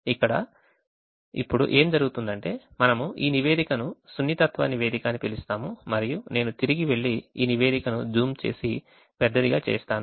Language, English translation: Telugu, now what also happens is we have this report called sensitivity report and if i go back and zoom this report and make it bigger now, it shows a few things